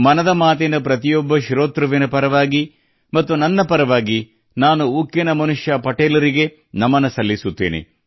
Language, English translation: Kannada, On behalf of every listener of Mann ki Baat…and from myself…I bow to the Lauh Purush, the Iron Man